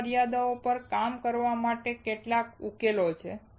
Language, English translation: Gujarati, There are some solutions to work on these limitations